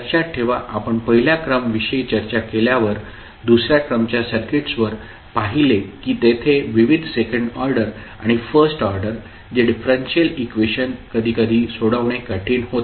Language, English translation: Marathi, So, remember if we, when we discussed the first order, second order circuits, we saw that there were, various second order and first order differential equations, which are sometimes difficult to solve